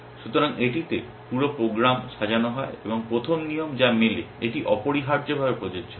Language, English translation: Bengali, So, it sort of goes down the program and the first rule which matches it applies essentially